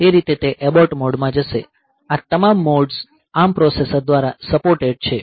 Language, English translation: Gujarati, So, that way it will be going into the abort mode, so this all these modes are supported by the ARM processor